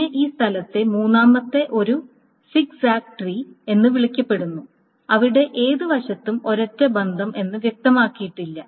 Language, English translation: Malayalam, Then the third one in this space is called a zigzag tree where it is not specified which side is a single relation but at least one of the sides must be a single relation